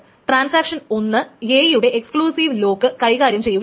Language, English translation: Malayalam, So transaction one wants an exclusive lock on A